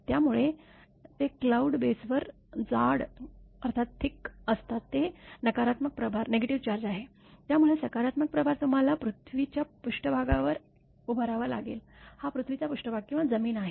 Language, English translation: Marathi, So, they are thickly on the cloud base it is negative charge; so, positive charge will be you have to build up on the earth surface; this is earth surface or ground